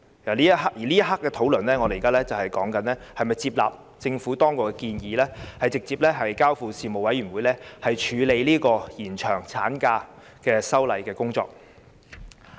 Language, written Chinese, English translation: Cantonese, 此刻，我們正在討論是否接納政府當局的建議，把《條例草案》直接交付人力事務委員會，處理延長產假的修例工作。, We are now deliberating whether we accept the proposal of the Government to directly refer the Bill to the Panel on Manpower which will scrutinize the legislative amendment on extending the maternity leave . President the 10 - week maternity leave has been implemented for more than 20 years in Hong Kong